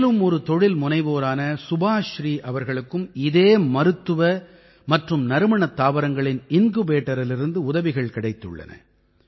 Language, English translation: Tamil, Another such entrepreneur is Subhashree ji who has also received help from this Medicinal and Aromatic Plants Incubator